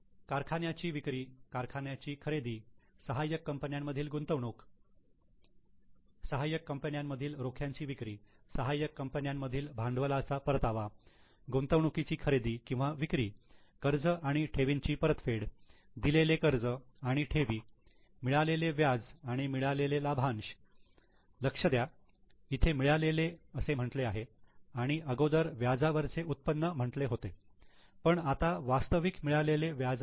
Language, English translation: Marathi, Purchase of plant, sale of plant, investment in subsidiary, sale of sale of shares in subsidy return of capital from subsidiary purchase or investments purchase or sale of investment repayment of loan and deposits loan and deposits given interest and received and dividend received mark here the term received here it was interest income